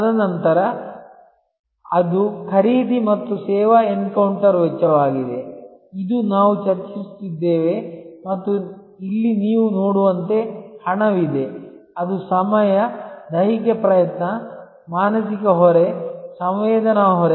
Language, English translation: Kannada, And then, that is a purchase and service encounter cost, this is what we have been discussing and here as you see there is money; that is time, physical effort, psychological burden, sensory burden